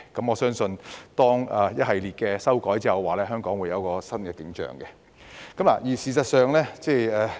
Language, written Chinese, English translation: Cantonese, 我相信當一系列的修例工作完成後，香港會有一番新景象。, I am convinced that the completion of a series of legislative amendments will bring new hope to Hong Kong